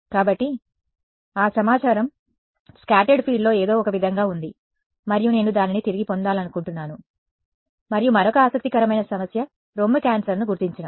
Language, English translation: Telugu, So, that information is somehow there in the scattered field and I want to get it back right and one other very interesting problem is breast cancer detection